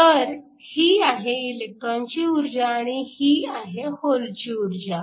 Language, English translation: Marathi, So, this is energy of the electron this is the energy of the hole